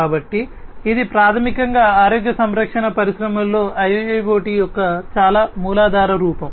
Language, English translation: Telugu, So, that is basically a very rudimentary form of application of IIoT in the healthcare industry